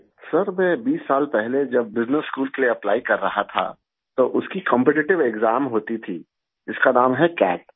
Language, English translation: Urdu, Sir, when I was applying for business school twenty years ago, it used to have a competitive exam called CAT